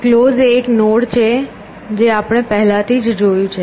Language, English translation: Gujarati, Closed is a node that we already seen